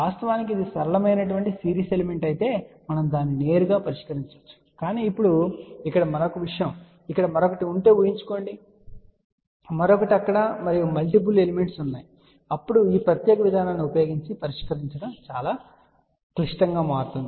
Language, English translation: Telugu, Of course, we can solve it directly if it was simple series element but now, imagine if it had a another thing here another here, another there and multiple elements are there then solving using this particular approach will become very very complicated